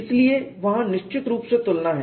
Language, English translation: Hindi, So, there is definitely a comparison